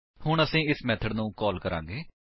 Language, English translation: Punjabi, Now, we will call this method